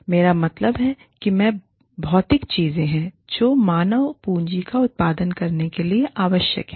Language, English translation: Hindi, And, i mean, these are the material things, that are required to produce human capital